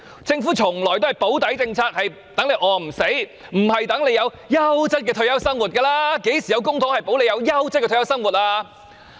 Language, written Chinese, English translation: Cantonese, 政府從來都是推行"保底"政策，讓市民餓不死，而不是讓市民有優質的退休生活，曾幾何時以公帑保障市民有優質的退休生活呢？, The Government has always intended to assure the minimum only so that the public would not starve to death rather than providing them with a quality retirement life . When has public money ever been spent on assuring a quality retirement life for the people?